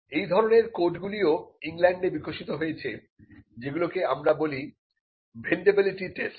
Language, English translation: Bengali, And the codes also in England developed what is called the vendibility test